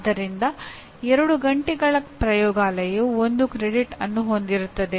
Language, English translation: Kannada, So 2 hours of laboratory constitutes 1 credit